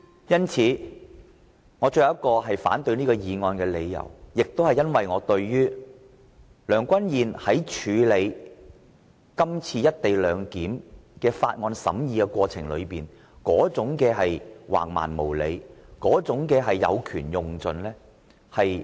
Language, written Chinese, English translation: Cantonese, 因此，我最後一項反對這項議案的理由，是因為我不滿意主席梁君彥議員在《條例草案》的審議過程中橫蠻無理及有權用盡。, Therefore the last reason why I oppose this motion is my discontent with President Mr Andrew LEUNG as he was domineering and unreasonable during the scrutiny of the Bill and he used his power to the fullest extent